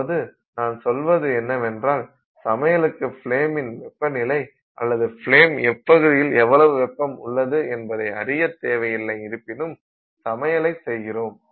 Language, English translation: Tamil, I mean we don't we didn't need to know everything about the flame temperature and which region of the flame had what temperature for us to do cooking